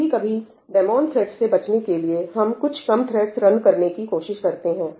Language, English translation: Hindi, Sometimes to avoid these demon threads and all, we try to run a fewer threads than the number of cores